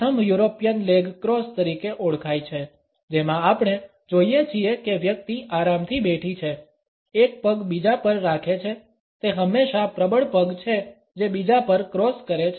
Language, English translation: Gujarati, The first is known as the European leg cross, in which we find that the person is sitting comfortably, dripping one leg over the other; it is always the dominant leg which crosses over the other